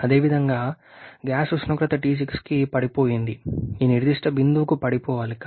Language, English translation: Telugu, Similarly the gas temperature is has dropped to T6 ideally should have drop to this particular point